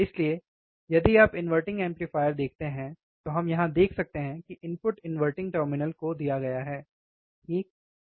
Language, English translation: Hindi, So, if you see the inverting amplifier, we can see here, that the input is given to the inverting terminal the input is given to the inverting terminal, right